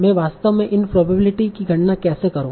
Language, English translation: Hindi, So now how do I actually compute probability of this sequence